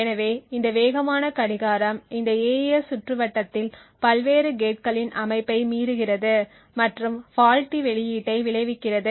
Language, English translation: Tamil, So this fast clock violates setup and hold times of various gates in this AES circuit resulting in a faulty output